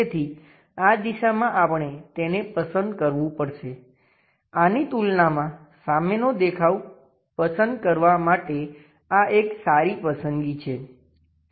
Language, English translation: Gujarati, So, this direction we have to pick it this is a good choice for picking front view compared to this one